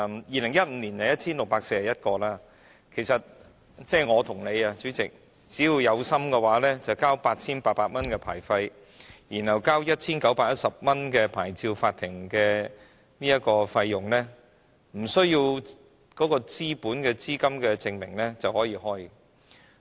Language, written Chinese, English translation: Cantonese, 2015年持牌放債人有 1,641 個，主席，其實我和你只要有心的話，繳交 8,800 元牌費，再向牌照法庭繳交 1,910 元費用，不需要資本資金證明，便可以開業。, There were 1 641 licensed money lenders in 2015 . President in fact if you and I wish we may launch a business by simply paying 8,800 licence fee and 1,910 to the licensing court . No proof of capital and funds is required